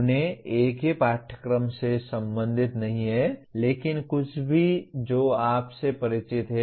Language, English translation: Hindi, They need not belong to a single course but anything that you are familiar with